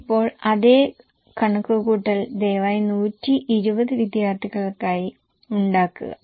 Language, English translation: Malayalam, Now same calculation please make it for 120 students